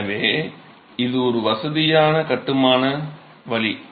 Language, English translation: Tamil, So, this is a convenient way of construction